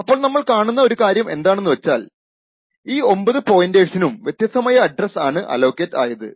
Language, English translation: Malayalam, Okay, and one thing what we need to see is that these 9 pointers have been allocated different addresses